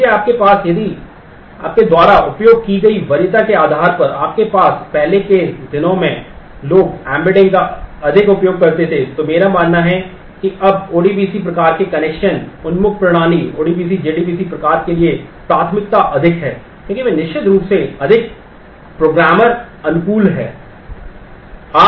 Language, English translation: Hindi, If you have if you depending on the preference you use that earlier days people used to use more of embedding, I believe that now the preference is more for the ODBC kind of connection oriented system ODBC jdbc kind of because they are certainly more programmer friendly this